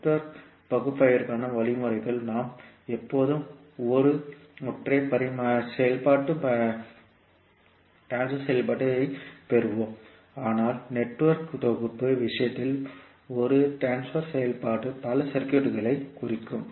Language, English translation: Tamil, Means for Network Analysis we will always get one single transfer function but in case of Network Synthesis one transfer function can represent multiple circuits